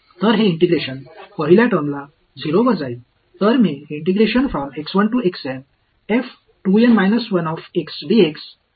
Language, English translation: Marathi, So, this integration goes to the first term goes to 0